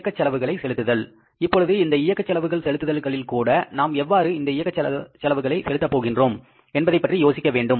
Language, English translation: Tamil, Now, in the operating expenses disbursements also, we have to think about how these operating expenses have to be paid for